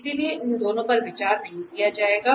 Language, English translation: Hindi, So therefore, these two will not be considered